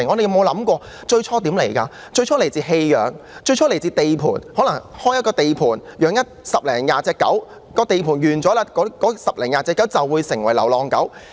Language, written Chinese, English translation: Cantonese, 牠們最初是來自棄養和地盤，可能是開設了一個地盤，飼養了十多二十隻狗，當地盤完工後，那十多二十隻狗便成為流浪狗。, Initially they were abandoned animals or were kept on construction sites . Maybe a construction site was set up and a dozen or two dogs were kept . After a construction project has been completed these dogs become strays